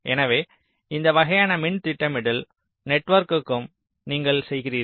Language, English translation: Tamil, ok, so this kind of a power planning network also you do